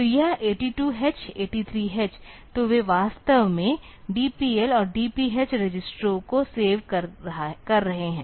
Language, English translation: Hindi, So, this 82 H, 83 H; so they are actually saving that DPL and DPH registers